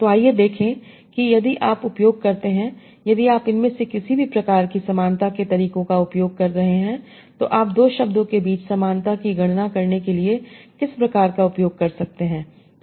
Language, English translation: Hindi, So let us see if you use, if you are using any of this, what kind of similarity methods you can use to compute similarity between two words